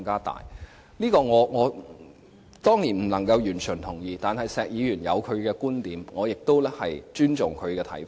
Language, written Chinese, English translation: Cantonese, 對此，我當然不能完全同意，但石議員有他的觀點，我亦尊重他的看法。, Although I do not totally agree with him but Mr SHEK does have his points and I respect them